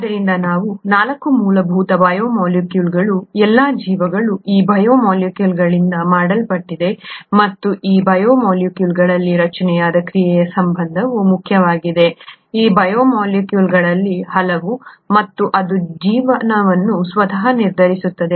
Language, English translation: Kannada, So these are the 4 fundamental biomolecules, all life is made out of these biomolecules and the structure function relationship is important in these biomolecules, many of these biomolecules, and that is what determines life itself